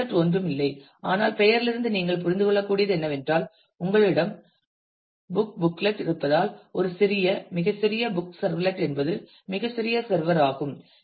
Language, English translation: Tamil, Servlet is nothing but as you can understand from the name itself is as you have book booklet booklet is a small very small book servlet is a very small server